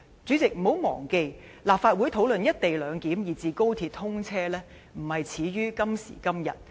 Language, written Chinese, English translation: Cantonese, 主席，請不要忘記，立法會討論"一地兩檢"，以至高鐵通車，不是始於今時今日。, President we must not forget that the discussions on co - location clearance and the commissioning of XRL are not something that have begun just today